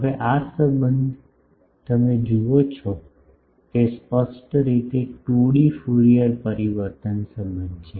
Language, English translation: Gujarati, Now, this relation you see is clearly a 2D Fourier transform relation